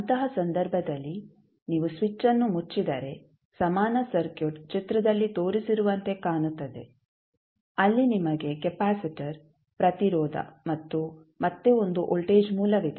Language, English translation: Kannada, So, what will happen in that case if you close the switch the equivalent circuit will look like as shown in the figure where you have a capacitor connected then you have the resistance and again one voltage source